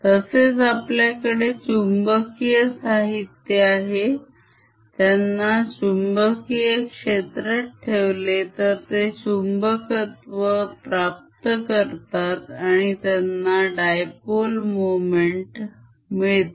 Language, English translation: Marathi, similarly we have magnetic materials where if they you put them in the magnetic field, they get magnetized, they develop a dipole moment